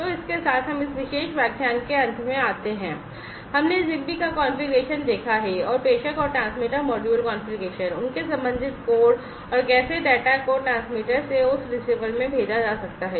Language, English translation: Hindi, So, with this, we come to an end of this particular lecture we have seen the configuration of ZigBee, and the sender and the transmitter module configuration, their corresponding code, and how the data can be sent from the transmitter to that receiver